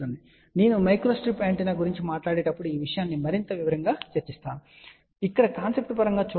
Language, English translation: Telugu, So, we are going to discuss this thing in more detail when I talk about microstrip antenna, but here just look at the concept point of view